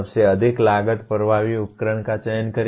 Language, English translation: Hindi, Select the most cost effective tool